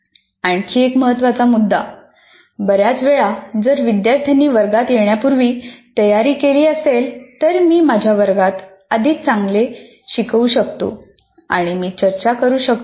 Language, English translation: Marathi, And another major one, many times if the students can prepare before coming to the class, I can do in my class much better